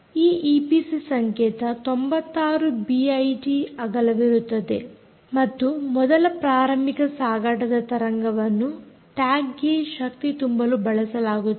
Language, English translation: Kannada, this e p c code is ninety six bits wide and first, initial carrier wave is used to power this tag